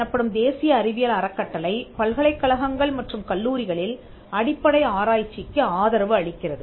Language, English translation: Tamil, The NSF which is the national science foundation, supports basic research in universities and colleges